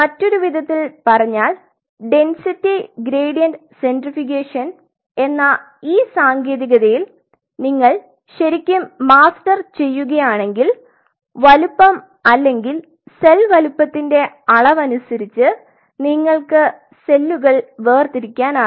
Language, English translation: Malayalam, In other word if you really master this technique of density gradient centrifugation depending on the size or the volume of the cell size includes here of course, there you can separate out the cells